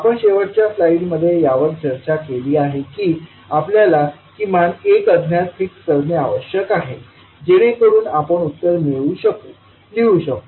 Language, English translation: Marathi, So that is what we have discussed in the last slide that we need to fix at least one so that we can write, we can get the answer